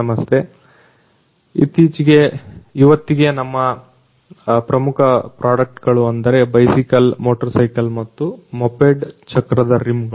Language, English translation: Kannada, Hello, today our main products are a bicycle, motorcycle and moped wheel rims